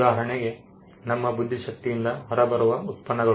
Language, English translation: Kannada, For instance, products that come out of our intellect